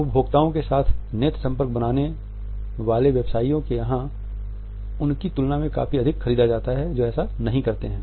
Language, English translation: Hindi, Making eye contact with consumers are purchased significantly more than those that do not